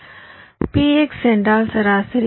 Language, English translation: Tamil, if p x is the average, which the median